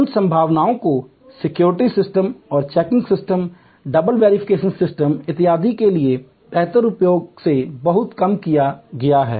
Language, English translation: Hindi, Those possibilities have been vastly reduced by better use of securities systems and checking's systems, double verification system and so on